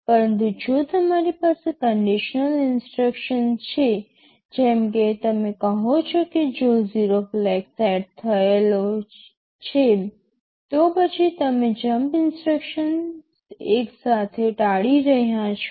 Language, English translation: Gujarati, But if you have a conditional instruction, like you say add if 0 flag is set, then you are avoiding the jump instruction altogether